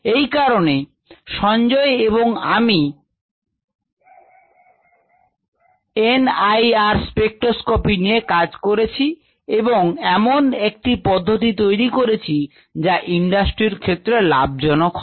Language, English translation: Bengali, so to do that, sanjay, i had worked on n i r spectroscopy and developed a method for doing that, and that obviously here was very beneficial to the industry